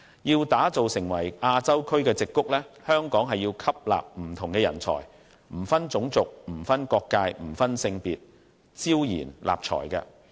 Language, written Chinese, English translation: Cantonese, 要打造成亞洲區的矽谷，香港要吸納不同的人才，不分種族、不分國界、不分性別，招賢納才。, To become the Silicon Valley in Asia Hong Kong must attract talents regardless of their race nationality or gender